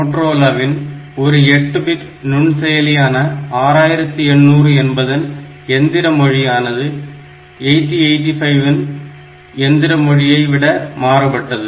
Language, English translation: Tamil, So, this is a typical example like Motorola it has got an 8 bit microprocessor called 6800 and 8085 machine language is different from that or 6800